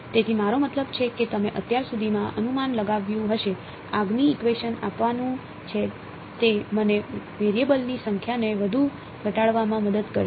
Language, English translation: Gujarati, So, I mean you would have guessed by now, the next equation is going to give is going to help me further reduce the number of variables